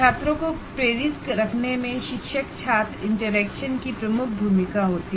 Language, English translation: Hindi, And the teacher student interaction has a major role to play in keeping the students motivated and so on